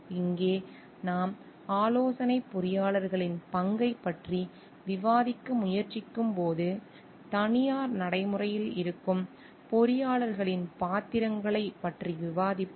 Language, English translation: Tamil, Here we are when we are trying to discuss the role of consulting engineers we will be discussing those roles of engineers who are in private practice